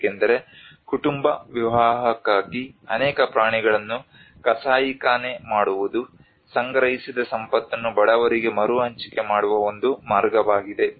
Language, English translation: Kannada, Because the butchering of so many animals for a family wedding is a way of redistributing the accumulated wealth to the poor